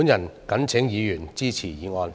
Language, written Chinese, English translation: Cantonese, 我謹請議員支持議案。, I urge Members to support this motion